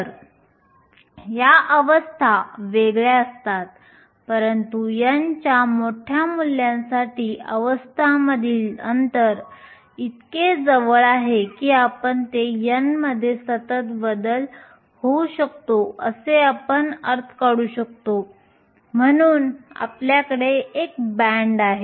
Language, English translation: Marathi, So, these states are discrete, but for large values of N the spacing between the states are so close that we can take it to be a continuous change in N, so we have a band